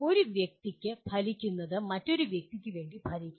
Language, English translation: Malayalam, What works for one person will not work for another person